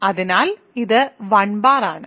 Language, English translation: Malayalam, It is 1 times 1 bar